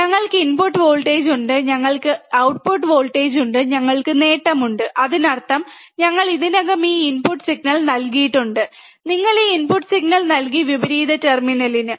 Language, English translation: Malayalam, We have input voltage we have output voltage, we have gain; that means, we have given already this input signal, we have given this input signal, if you see in the table, right to the inverting terminal right